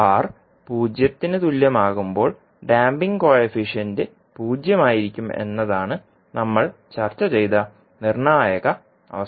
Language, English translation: Malayalam, The critical condition which we discussed was that when R is equal to 0 the damping coefficient would be 0